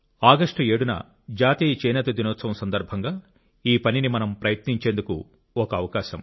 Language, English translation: Telugu, The National Handloom Day on the 7th of August is an occasion when we can strive to attempt that